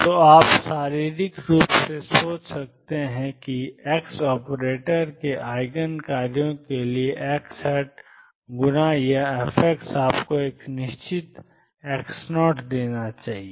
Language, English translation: Hindi, So, you can physically think that for Eigen functions of x operator x times it is fx should give you a definite x x 0